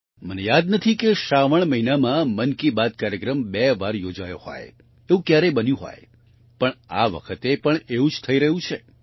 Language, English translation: Gujarati, I don't recall if it has ever happened that in the month of Sawan, 'Mann Ki Baat' program was held twice, but, this time, the same is happening